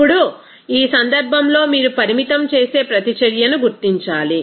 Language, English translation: Telugu, Now, in this case you have to identify that limiting reactant